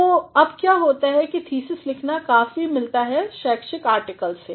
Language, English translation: Hindi, So, now what happens a thesis writing is also similar to an academic article